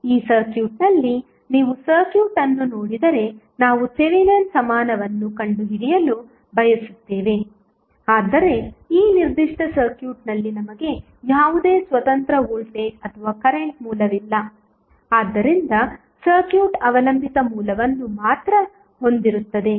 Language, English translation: Kannada, In this circuit if you see the circuit we want to find out the Thevenin equivalent but in this particular circuit we do not have any independent voltage or current source, so the circuit would have only dependent source